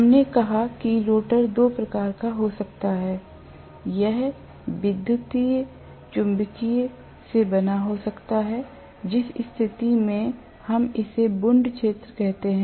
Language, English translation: Hindi, We said the rotor can be of two types, it can be made up of electromagnetic in which case we call it as wound field